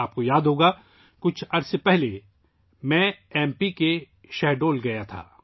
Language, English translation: Urdu, You might remember, sometime ago, I had gone to Shahdol, M